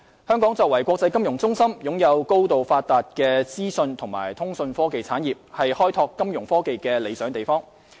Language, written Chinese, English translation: Cantonese, 香港作為國際金融中心，擁有高度發達的資訊及通訊科技產業，是開拓金融科技的理想地方。, As an international financial centre with a highly - developed information and communication technology sector Hong Kong is an ideal place for the development of financial technology Fintech